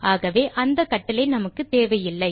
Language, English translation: Tamil, Hence we do not need second command